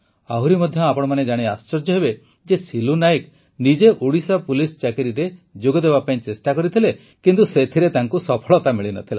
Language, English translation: Odia, By the way, you will also be amazed to know that Silu Nayak ji had himself tried to get recruited in Odisha Police but could not succeed